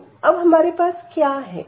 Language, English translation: Hindi, So, what do we have now